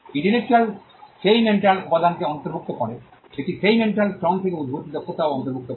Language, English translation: Bengali, Intellectual covers that mental element, it would also cover skills that come out of that mental labor